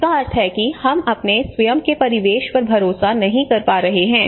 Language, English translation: Hindi, So which means we are even not able to trust our own surroundings